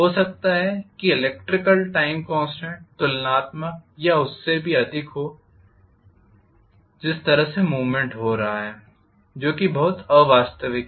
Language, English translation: Hindi, The electrical time constant happens to be maybe comparable or even greater than the way the movement is taking place which is kind of very unrealistic